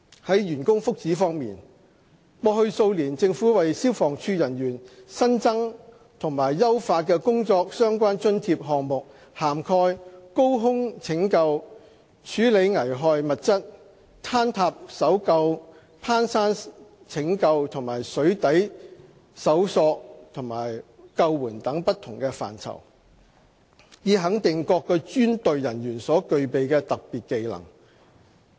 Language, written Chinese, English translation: Cantonese, 在員工福祉方面，過去數年政府為消防處人員新增和優化的工作相關津貼項目涵蓋高空拯救、處理危害物質、坍塌搜救、攀山拯救和水底搜索和救援等不同範疇，以肯定各專隊人員所具備的特別技能。, On staff benefits the Government has in the past few years introduced and improved job - related allowances for FSD staff which cover such duties as high angle rescue handling of hazardous materials as well as urban mountain and underwater search and rescue operations in recognition of the special skills possessed by staff of various specialized teams